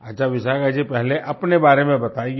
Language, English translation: Hindi, WellVishakha ji, first tell us about yourself